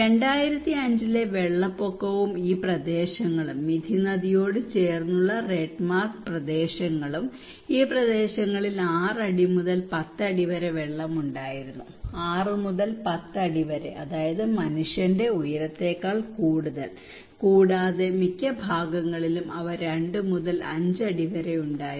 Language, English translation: Malayalam, The flood level in 2005 and these areas, the red mark areas close to the Mithi river, these areas were around six to ten feet of water, six to ten feet that is more than a human height okay and also they had two to five feet in most of the parts and close to the road they were not much suffered, only one feet of water